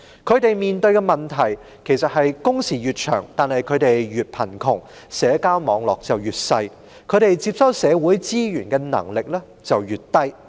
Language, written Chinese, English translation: Cantonese, 他們面對的問題是，工時越長反而令他們越貧窮、社交網絡越小、接收社會資源的能力也越低。, The problem faced by them is that longer working hours have on the contrary made them poorer . Their social network becomes smaller while their eligibility for receiving social resources becomes lower